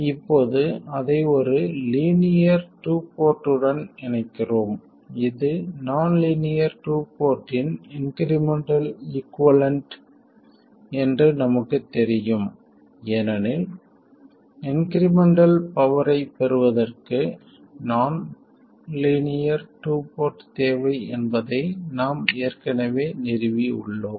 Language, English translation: Tamil, Now we connect that to a linear 2 port which we know is the incremental equivalent of the nonlinear 2 port because we have already established that we need a nonlinear 2 port to have incremental power gain